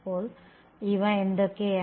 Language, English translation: Malayalam, So, what are these